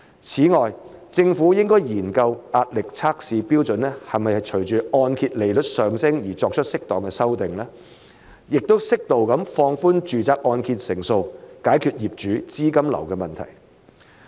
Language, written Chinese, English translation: Cantonese, 此外，政府應該研究壓力測試標準是否隨按揭利率上升而作出適當修訂，並適度放寬按揭成數，解決業主資金流的問題。, In addition the Government should consider whether the stress test criteria should be appropriately adjusted in line with the rise in mortgage rates and whether the loan - to - value ratio should be suitably relaxed to address the cash flow problems of property owners